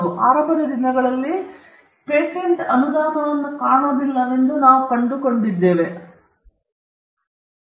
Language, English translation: Kannada, In the early days, we find we do not find patent grants, we find exclusive privileges